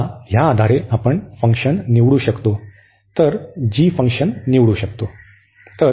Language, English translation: Marathi, So, based on this now we can select the function, we can choose the function g